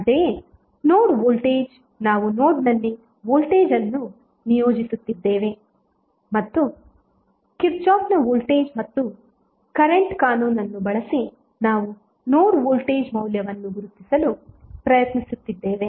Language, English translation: Kannada, Similarly, a node voltage we were assigning voltage at the node and using Kirchhoff’s voltage and current law we were trying to identify the node voltage value